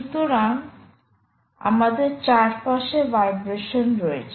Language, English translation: Bengali, on the other side, the are vibrations